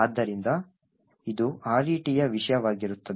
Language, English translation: Kannada, So, this would be the contents of RET